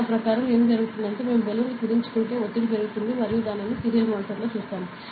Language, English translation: Telugu, So, according to the Boyle’s law what happens is, if we compress the balloon the pressure will go up and we will see that on the serial monitor, ok